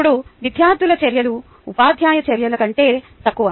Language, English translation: Telugu, student actions are less common than teacher actions